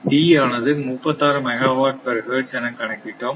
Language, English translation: Tamil, So, it is 36 megawatt per hertz right